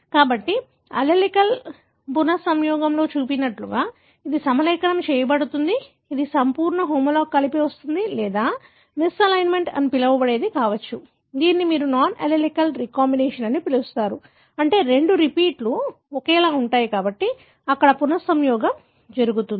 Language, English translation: Telugu, So, either it can align like the one that is shown in the allelic recombination that is a perfect homologue coming together or there could be what is called as misalignment, which you call as non allelic recombination, meaning theses two repeats are identical, so there is a recombination taking place